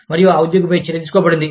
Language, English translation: Telugu, And, an action has been taken, against this employee